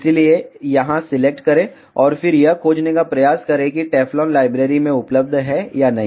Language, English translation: Hindi, So, select here and then try to search whether Teflon is available in the library or not